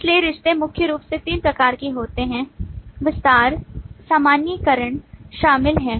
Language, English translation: Hindi, So relationships are primarily of 3 kind: include, extend and generalization